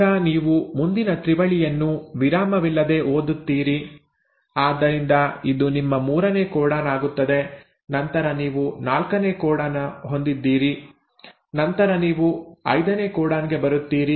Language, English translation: Kannada, Then again you read the next triplet without the break, so this becomes your third codon and then you have the fourth codon and then you come to the fifth codon